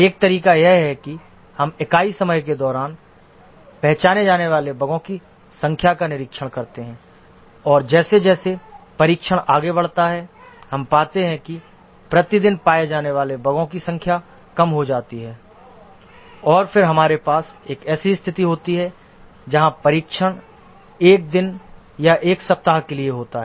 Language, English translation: Hindi, One way is that we observe the number of bugs that are getting detected over unit time and as testing progresses we find that the number of bugs detected per day is decreases and then we have a situation where testing takes place for a day or a week and no bug is detected and that's the time when we may stop testing